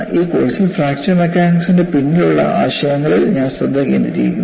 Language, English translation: Malayalam, See, in this course, I focus on the concepts behind fracture mechanics